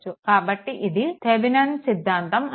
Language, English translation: Telugu, So, this is your what you call that Thevenin’s theorem